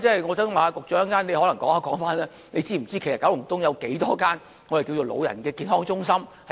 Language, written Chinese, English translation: Cantonese, 我想請局長稍後回應，他是否知道九龍東有多少間長者健康中心。, I hope the Secretary will respond later on whether or not he knows the number of elderly health centres in Kowloon East